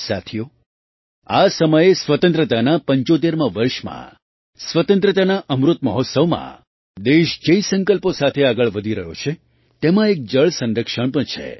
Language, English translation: Gujarati, Friends, at this time in the 75th year of independence, in the Azadi Ka Amrit Mahotsav, water conservation is one of the resolves with which the country is moving forward